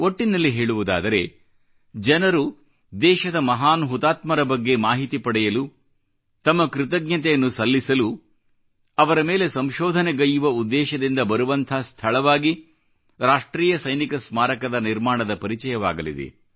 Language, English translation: Kannada, If you take a holistic view, the National Soldiers' Memorial is sure to turn out to be a sacred site, where people will throng, to get information on our great martyrs, to express their gratitude, to conduct further research on them